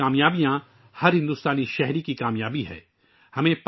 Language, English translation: Urdu, India's achievements are the achievements of every Indian